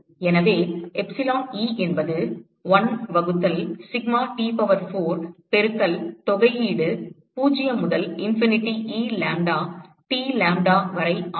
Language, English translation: Tamil, So, epsilon E is 1 by sigma T power 4 into integral 0 to infinity E lambda,T dlambda